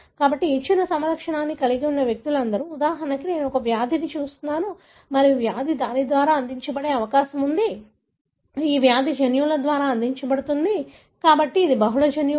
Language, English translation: Telugu, So, all the individuals that have a given phenotype, for example I am looking at a disease and the disease is likely that it contributed by, the disease is contributed by genes, but multiple genes